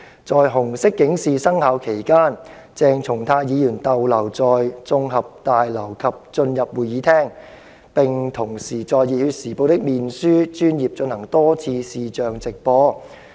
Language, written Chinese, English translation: Cantonese, 在紅色警示生效期間，鄭松泰議員逗留在綜合大樓及進入會議廳，並同時在《熱血時報》的面書專頁進行多次視像直播"。, When the Red alert was in force Dr Hon CHENG Chung - tai remained in the LegCo Complex and entered the Chamber and at the same time repeatedly conducted live streams on the Facebook page of the Passion Times